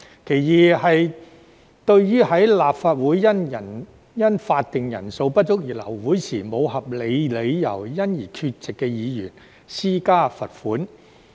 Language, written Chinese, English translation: Cantonese, 其二是對於立法會因法定人數不足而流會時，沒有合理理由而缺席的議員施加罰款。, The second one is to impose a fine on a Member who is absent without valid reasons from a Council meeting aborted due to a lack of quorum